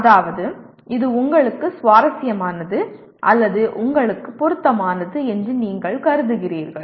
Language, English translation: Tamil, That means you consider it is interesting or of relevance to you and so on